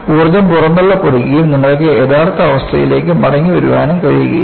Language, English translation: Malayalam, Energy is dissipated and you cannot come back to the original situation at all